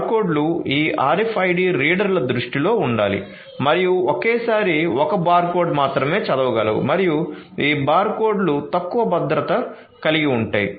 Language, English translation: Telugu, So, barcodes need to be on the line of sight of these RFID readers and only one barcode at a time can be read and these barcodes have less security and hence can be forced